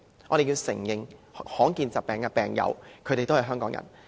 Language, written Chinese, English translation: Cantonese, 我們要承認，罕見疾病的病友也是香港人。, We have to admit that patients with rare diseases are Hongkongers too